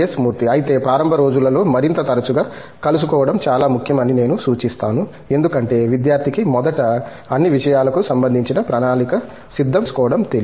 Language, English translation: Telugu, But, I would suggest that initial days, it is more important to meet more frequently because the student is not used to you know, first of all planning things